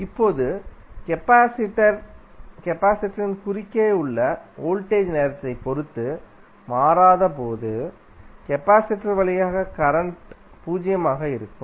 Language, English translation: Tamil, Now, when the voltage across the capacitor is is not changing with respect to time the current through the capacitor would be zero